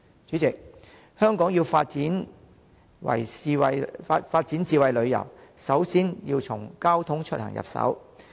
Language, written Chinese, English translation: Cantonese, 主席，香港要發展智慧旅遊，首先要從交通出行入手。, President to develop smart travel in Hong Kong we should start from transport and commuting